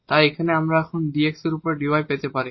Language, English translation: Bengali, So, from here dy over dx what we get